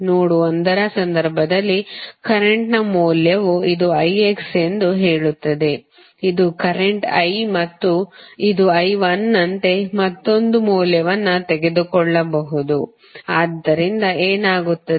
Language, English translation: Kannada, In case of node 1 the value of current say this is i X, this is I and this may you may take another value as i 1, so what will happen